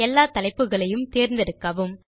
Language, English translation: Tamil, Select all the headings